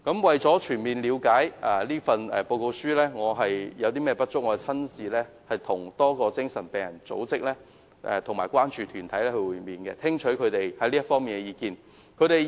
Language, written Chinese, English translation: Cantonese, 為全面了解《報告》有何不足之處，我曾親自與多個精神病人組職和關注團體會面，聽取他們在這方面的意見。, For the purpose of ascertaining the inadequacies of the Report I have personally met with a great number of associations and concern groups for patients with mental illnesses and listen to their views in this regard